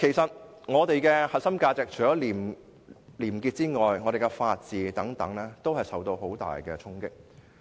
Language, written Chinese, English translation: Cantonese, 在我們的核心價值中，除廉潔外，法治亦受到很大衝擊。, Apart from probity the rule of law in our core values has also been dealt a severe blow